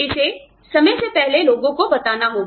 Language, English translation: Hindi, It has to be told to people, ahead of time